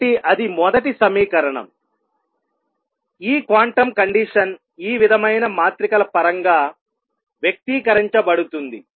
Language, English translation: Telugu, So, that was the first equation; the quantum condition expressed in terms of matrices like this